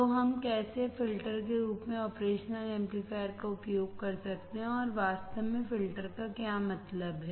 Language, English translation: Hindi, So, how we can use operational amplifier as filters and what exactly filter means